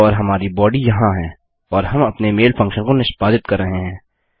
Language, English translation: Hindi, And our body in here and we are executing our mail function